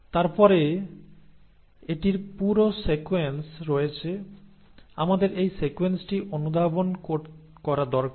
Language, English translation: Bengali, And then it has this whole sequences, we need to make sense of this sequence